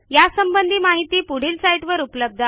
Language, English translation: Marathi, More information on the same is available from our website